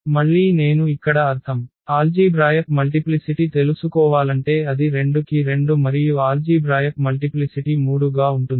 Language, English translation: Telugu, Again I mean here, the if we want to know the algebraic multiplicity so it is 2 4 2 and the algebraic multiplicity of 3 is 1